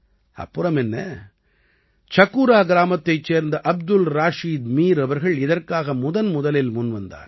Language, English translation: Tamil, And lo and behold… Abdul Rashid Mir of Chakura village was the first to come forward for this